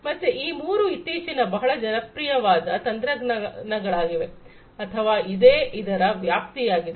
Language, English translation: Kannada, So, this is how these three you know recently popular technologies have become or what is what is what is there scope